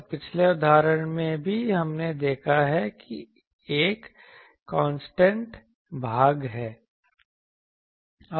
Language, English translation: Hindi, And we can actually in a previous example also we have seen there is a constant part